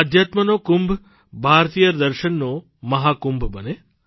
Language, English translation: Gujarati, May this Kumbh of Spirituality become Mahakumbh of Indian Philosophy